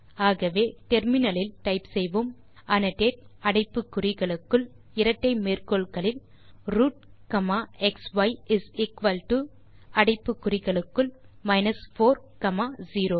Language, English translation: Tamil, So type in the terminal annotate within brackets in double quotes root comma xy is equal to within brackets minus 4 comma 0